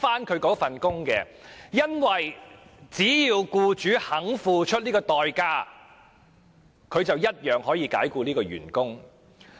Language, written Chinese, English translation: Cantonese, 他不能，因為只要僱主肯付出代價，便可以解僱員工。, No because as long as the employers are willing to pay a price they can dismiss their employees